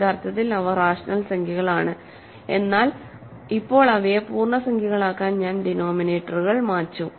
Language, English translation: Malayalam, Originally they are rational numbers, but now I have cleared denominators to make them integers